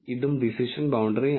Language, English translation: Malayalam, This is also the decision boundary